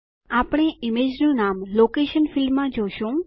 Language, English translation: Gujarati, We will see the name of the image in the Location field